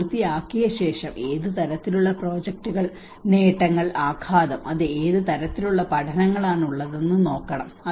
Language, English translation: Malayalam, After finishing it, one has to look at what kinds of projects, achievements and the impacts and what kind of learnings it has